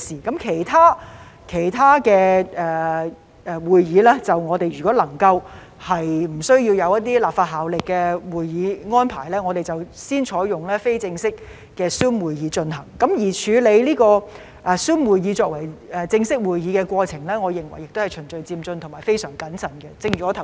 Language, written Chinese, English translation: Cantonese, 至於其他委員會會議，如果不涉及一些具立法效力的會議安排，我們便先採用非正式的 Zoom 會議來進行；至於採用 Zoom 舉行正式會議，我認為亦是循序漸進及非常謹慎的做法。, As for other committee meetings so long as they do not involve meeting arrangements with legislative effect informal Zoom meetings will be conducted; with regard to using Zoom for holding formal meetings I believe this is a gradual orderly and very cautious approach as well